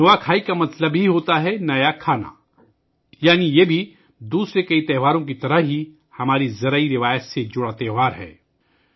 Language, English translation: Urdu, Nuakhai simply means new food, that is, this too, like many other festivals, is a festival associated with our agricultural traditions